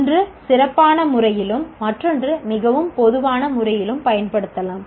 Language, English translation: Tamil, One is used in a very specific sense, the other is possibly used in a more common sense